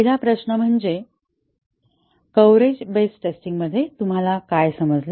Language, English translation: Marathi, The first question is what do you understand by a coverage based testing